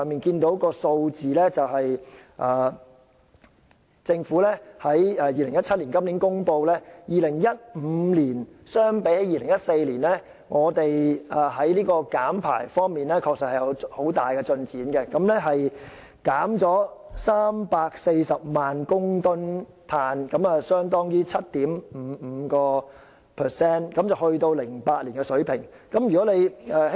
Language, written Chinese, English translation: Cantonese, 根據政府今年公布的數據 ，2015 年與2014年相比，香港在減排方面確實取得很大進展，共減少排放340萬公噸二氧化碳，相當於整體的 7.55%， 回到2008年的水平。, According to the statistics released by the Government this year compared with 2014 Hong Kong has made remarkable progress in emissions reduction in 2015; the total reduction of 3.4 million tonnes of carbon dioxide emission accounted for 7.55 % of the total marking a return to the 2008 level